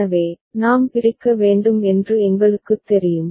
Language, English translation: Tamil, So, we know that we need to split